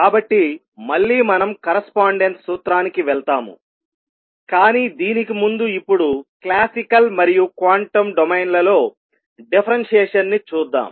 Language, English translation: Telugu, So, again we will be going back to the correspondence principle, but before that let us now look for the time being differentiation in classical and quantum domain